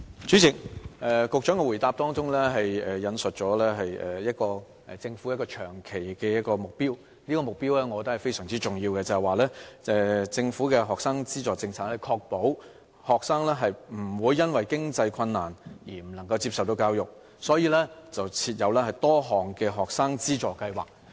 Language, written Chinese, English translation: Cantonese, 主席，局長的答覆引述了政府一個長期的目標，我覺得這個目標是非常重要的，因為政府的學生資助政策的目的是確保學生不會因為經濟困難，而不能夠接受教育，所以設有多項學生資助計劃。, President the Secretary has quoted a long - term objective of the Government in his reply which I find to be very important because the purpose of the Governments student finance policy is to ensure that no student will be deprived of education due to a lack of means and for this reason various student financial assistance schemes have been put in place